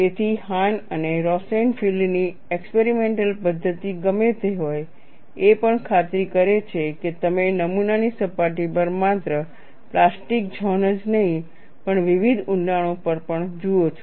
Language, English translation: Gujarati, So, whatever the experimental method of Hahn and Rosenfield, also ensured, not only you see the plastic zone on the surface of the specimen, but also at various depths, you have that kind of an advantage